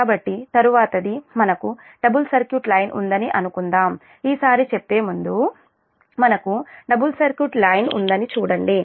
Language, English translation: Telugu, so for suppose, next one is: we have a double circuit line, before saying this time, just see, we have a double circuit line